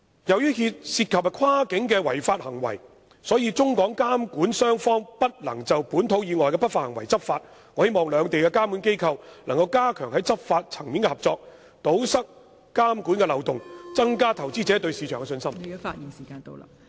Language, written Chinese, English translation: Cantonese, 由於涉及跨境違法行為，中港監管雙方不能就本土以外的不法行為執法，我希望兩地監管機構能夠加強在執法層面的合作，堵塞監管漏洞，增加投資者對市場的信心。, As cross - boundary illegal conduct may be involved and the regulators in China and Hong Kong are unable to take enforcement action against any illegal conduct outside their respective territories I hope the regulators of both places can enhance their law enforcement cooperation and plug the regulatory loopholes so as to enhance investors confidence in their markets